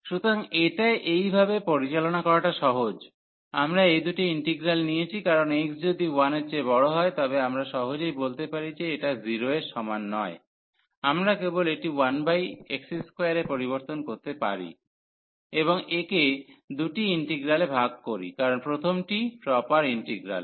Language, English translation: Bengali, So, this was easy by handling in this way that we have taken this two integrals into consideration the idea was because if x is greater than 1, we can easily in fact this not equal to 0; we can just divert it here 1 over x square and by breaking into two integrals that help, because the first one was the proper one